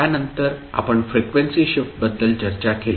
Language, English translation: Marathi, Now, then, we discuss about frequency shift